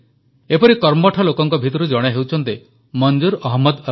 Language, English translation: Odia, One such enterprising person is Manzoor Ahmad Alai